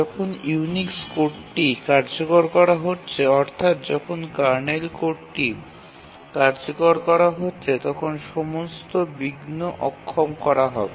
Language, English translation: Bengali, When the Unix code is being executed, that is the kernel code is being executed, then all interrupts are disabled